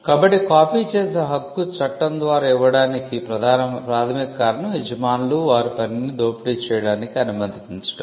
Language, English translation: Telugu, So, the reason fundamental reason why the right to copy is granted by the law is to allow the owners to exploit their work